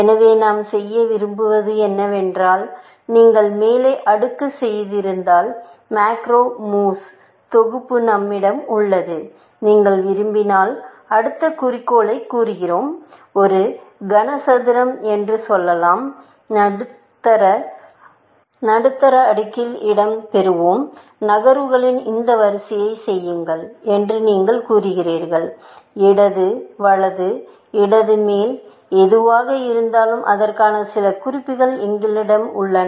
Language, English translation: Tamil, So, what we tend to do is that we have the set of macro moves, which says, if you have done the top layer, then if you want to; let us say the next objective, which is to get; Let us say one cube, let into place in the middle layer; you say do this sequence of moves; left, right, left up down, whatever, we have some notation for that